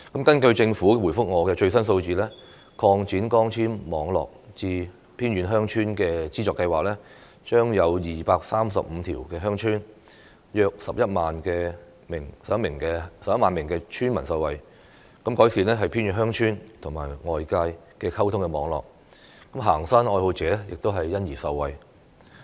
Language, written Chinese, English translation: Cantonese, 根據政府向我提供的回覆，擴展光纖網絡至偏遠地區鄉村資助計劃將令235條鄉村、約11萬名村民受惠，改善偏遠鄉村與外界的溝通網絡，行山愛好者亦因而受惠。, Pursuant to the reply provided to me by the Government the Subsidy Scheme to Extend Fibre - based Networks to Villages in Remote Areas will benefit 235 villages and around 110 000 villagers and enhance the communication network between remote villages and the outside world . Hiking enthusiasts will also benefit from this